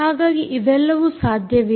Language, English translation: Kannada, so all of this is possible